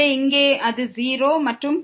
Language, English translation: Tamil, So, here it is 0 and then, this is also 0